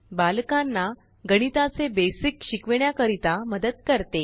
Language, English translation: Marathi, Helps teach kids basics of mathematics